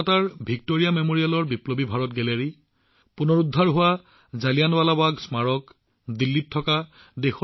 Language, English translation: Assamese, Whether it is Biplobi Bharat Gallery in Kolkata's Victoria Memorial or the revival of the Jallianwala Bagh Memorial